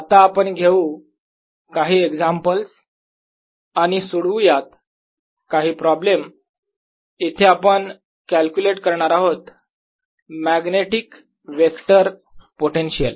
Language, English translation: Marathi, let us now take examples and solve some certain problems where we calculate the magnetic electro potential